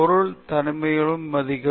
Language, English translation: Tamil, Respect the subjectÕs privacy